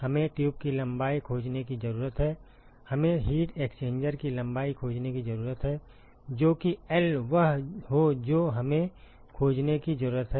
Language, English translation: Hindi, We need to find the tube length, we need to find the length of the heat exchanger so that is L that is what we need to find